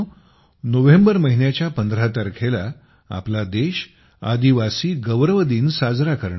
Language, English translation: Marathi, My dear countrymen, on the 15th of November, our country will celebrate the Janjateeya Gaurav Diwas